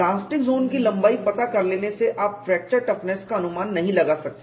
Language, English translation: Hindi, By knowing the plastic zone length you cannot estimate fracture toughness